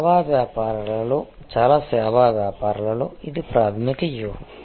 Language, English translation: Telugu, In service businesses, in most service businesses this is a primary strategy